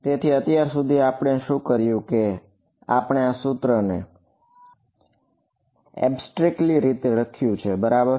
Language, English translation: Gujarati, So, so far what we have done is we have sort of written this equation abstractly ok